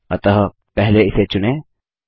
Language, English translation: Hindi, So, first select it